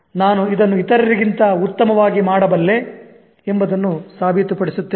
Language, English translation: Kannada, I'll prove that I can do this much better than other people